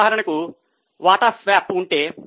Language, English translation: Telugu, For example, if there is a share swap